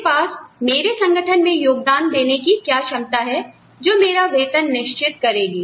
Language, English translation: Hindi, What do I have, my ability to contribute to the organization, is what, determines my salary